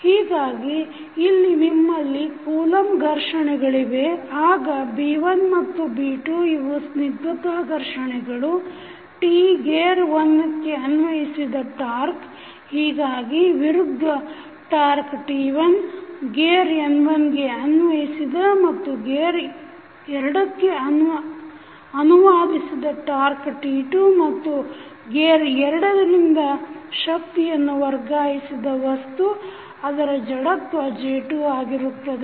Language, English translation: Kannada, So, here you have the Coulomb frictions, then B1 and B2 are the viscous frictions, T is the torque applied from the gear 1, so the opposite torque which is T1 applied on the gear N1 and translated to gear 2 is T2 and the energy transferred from gear 2 the object which is having inertia equal to J2